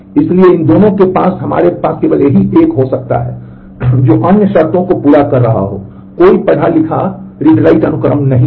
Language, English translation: Hindi, So, in these 2 we only can have this one which is satisfying the other conditions and there is no read write sequence